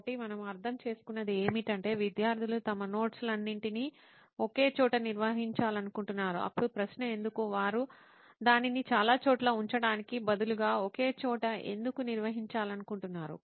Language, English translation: Telugu, So then what we understood is students want to organize all their notes in one place, then the question would be why, why would they want to organize it in one place instead of having it in several places